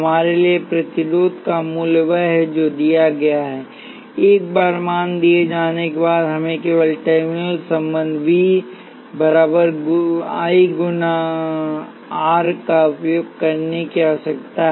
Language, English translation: Hindi, For us, the value of resistance is what is given; once the value is given all we need to use is the terminal relationship V equals I times R